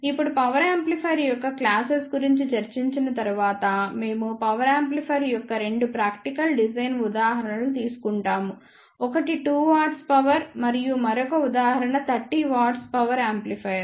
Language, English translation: Telugu, Now, after discussing these classes of power amplifier we will take two practical design examples of power amplifier one will be of 2 watt power and another example will be of 30 watt power amplifier